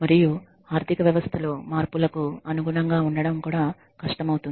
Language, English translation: Telugu, And it also becomes difficult to adapt to the changes in the economy